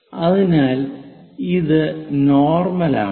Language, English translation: Malayalam, So, this is normal